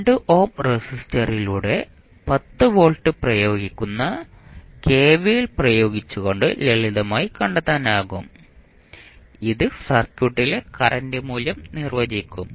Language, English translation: Malayalam, You can simply find out by applying the kvl that is 10 volt is applied across through the 2 ohm resistance and it will define the value of current in the circuit